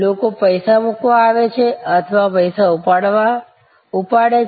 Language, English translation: Gujarati, People come into put in money or take out money